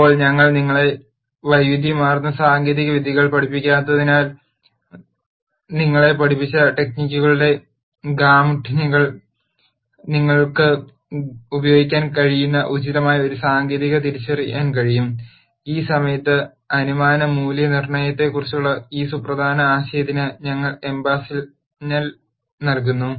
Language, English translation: Malayalam, Now, since we do not teach you wide variety of techniques, within the gamut of techniques that you are taught you will be able to identify an appropriate technique that you can use and in this course, we emphasize this important idea of assumption validation